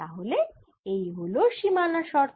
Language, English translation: Bengali, so that's one boundary condition